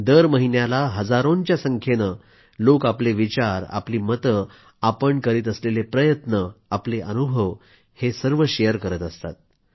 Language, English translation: Marathi, Every month, thousands of people share their suggestions, their efforts, and their experiences thereby